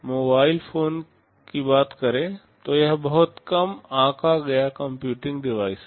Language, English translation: Hindi, Talking about mobile phones this is a very underestimated computing device